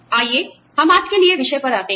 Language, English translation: Hindi, Let us come to the topic, for today